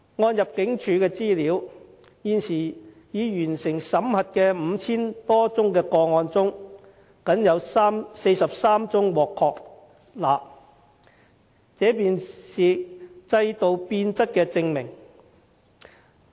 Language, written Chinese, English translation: Cantonese, 按入境事務處的資料，現時已完成審核的 5,000 多宗個案中，僅有43宗獲確立，這便是制度變質的證明。, According to the information of the Immigration Department ImmD only 43 of the 5 000 or so completed cases are found to be substantiated . This is proof of the changed nature of the mechanism